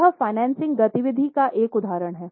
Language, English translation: Hindi, This is an example of financing activity